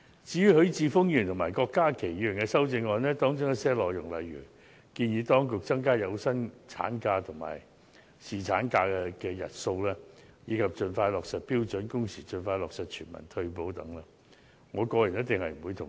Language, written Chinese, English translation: Cantonese, 至於許智峯議員和郭家麒議員的修正案，當中一些內容，例如建議當局增加有薪產假及侍產假的日數，以及盡快落實標準工時、盡快落實全民退休保障等，我個人一定不會同意。, Regarding the amendments proposed respectively by Mr HUI Chi - fung and Dr KWOK Ka - ki I personally can never agree with some of the points raised such as the proposal to increase the numbers of days of paid maternity leave and paternity leave the expeditious implementation of standard working hours and a universal retirement protection scheme and so on